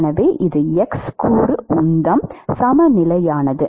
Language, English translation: Tamil, So, so we need to write the X momentum balance